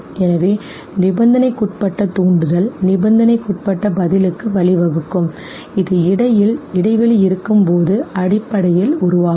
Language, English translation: Tamil, So the conditioned stimulus okay, will lead to a conditioned response which basically will develop when the interval between the